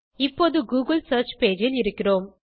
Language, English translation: Tamil, We are now in the google search page